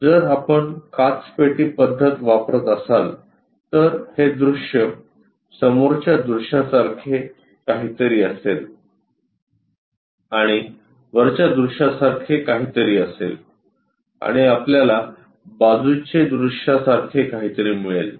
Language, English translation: Marathi, If we are using glass box method, then the view will be something like front view and something like the top view and there will be something like a side view also we will get